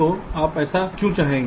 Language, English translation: Hindi, so why would you want that